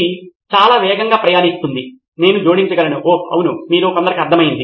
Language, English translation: Telugu, It travels fast incredibly fast, I might add, oh yes you have got it, some of you